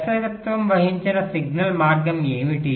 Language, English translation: Telugu, what is a directed signal path